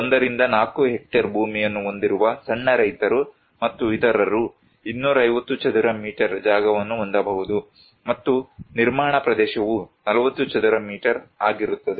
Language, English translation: Kannada, The small farmer, between 1 to 4 hectare landholding and others, they can have 250 square meter plot area and the construction area will be 40 square meters